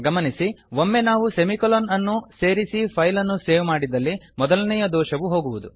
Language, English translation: Kannada, notice that once we add the semi colon and save the file, the first error is gone